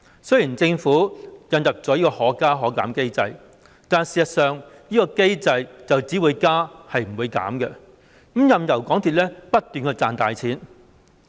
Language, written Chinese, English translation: Cantonese, 雖然政府引入"可加可減"機制，但事實上這個機制只會加而不會減，任由港鐵公司不斷賺大錢。, Although the Government has introduced the Fare Adjustment Mechanism which provides for both upward and downward adjustments in fares in fact it will only increase and never reduce the fares giving MTRCL carte blanche to keep making big money as a result